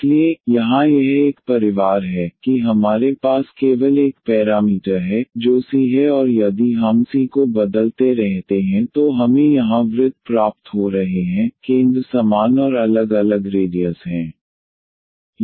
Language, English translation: Hindi, So, here it is a family were we have only one parameter that is c and if we keep on changing the c we are getting the circles here, with centre same and different radius